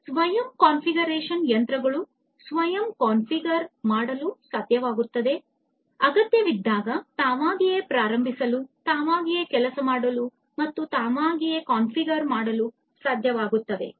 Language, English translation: Kannada, Self configuration the machines should be able to self configure whenever required this would be able to start up on their own, work on their own, configure on their own and so, on